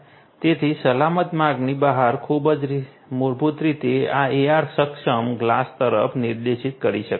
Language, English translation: Gujarati, So, the safe passage way out basically can be directed to this AR enabled glass